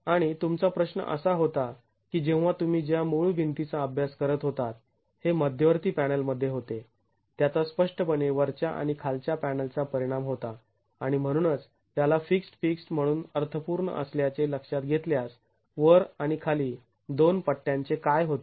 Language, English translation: Marathi, And your question was, when you're looking at the original wall that we were studying, it had in the central panel, it had clearly the effect of the top and bottom panels and therefore considering that as fixed fixed is meaningful, what happens to the two strips at the top and the bottom